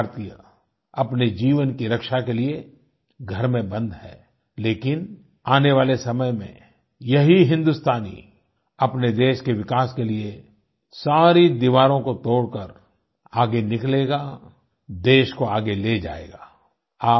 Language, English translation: Hindi, My dear countrymen, today every Indian is confined to the home, to ensure his or her own safety, but in the times to come, the very same Indian will tear down all walls on the road to our progress and take the country forward